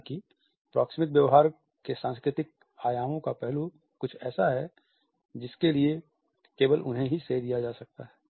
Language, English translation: Hindi, However, the aspect of cultural dimensions of proxemic behavior is something which can be credited only to him